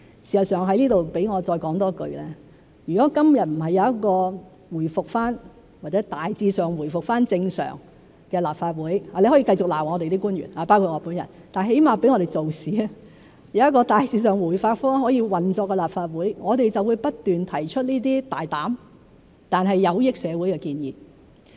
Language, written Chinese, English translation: Cantonese, 事實上，容我在此再多說一句，如果今日不是有一個回復或大致上回復正常的立法會——你可以繼續罵我們的官員，包括我本人，但至少讓我們做事，有一個大致上可以回復運作的立法會，我們就會不斷提出這些大膽但有益社會的建議。, Let me say a few more words here . As a matter of fact if the Legislative Council has not returned or largely returned to normal―you can continue to slam our officials including myself but at least let us do our work―as long as the Legislative Council has generally resumed normal operation we will continue to put forward such proposals which are bold but beneficial to society